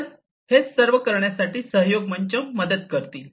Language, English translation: Marathi, So, this is what a collaboration platform will help in doing